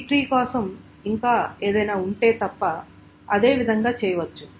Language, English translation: Telugu, For a B tree the same thing can be done except there is something more